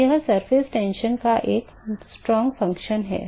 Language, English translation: Hindi, So, it is a strong function of the surface tension